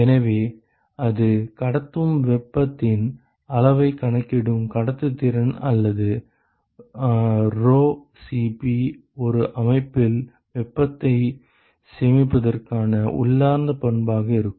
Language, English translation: Tamil, So, it is like, when you had conductivity which quantifies the amount of heat that it conducts or rho Cp which is the intrinsic property to store heat in a system